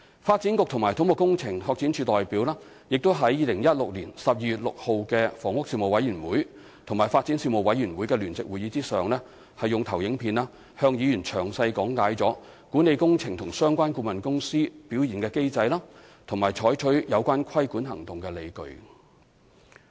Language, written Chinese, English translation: Cantonese, 發展局及土木工程拓展署代表亦在2016年12月6日的房屋事務委員會與發展事務委員會的聯席會議上，用投影片向議員詳細講解管理工程及相關顧問公司表現的機制，以及採取有關規管行動的理據。, At the joint meeting of the Panel on Housing and Panel on Development held on 6 December 2016 with a PowerPoint presentation representatives from the Development Bureau and CEDD also illustrated in detail to Members the mechanism for managing works and performance of relevant consultants as well as the justification for taking the regulating action concerned